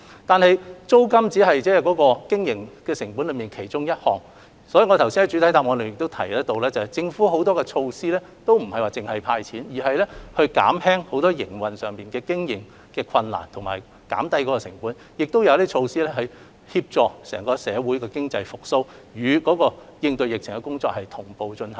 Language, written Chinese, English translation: Cantonese, 然而，租金只是經營成本之一，所以我剛才已在主體答覆中提出，政府亦推行了很多其他措施，在"派錢"之餘同時力求減輕商戶的經營困難和成本，以及推出措施協助整體社會的經濟復蘇，並與應對疫情的工作同步進行。, Yet rents only account for a part of the operating costs and I have therefore stated in the main reply just now that many other measures apart from handing out cash were rolled out by the Government with a view to alleviating the operating difficulties and costs for commercial tenants as far as possible . Measures will also be introduced to facilitate economic recovery in society as a whole and work in this respect will proceed in parallel with efforts made to tackle the epidemic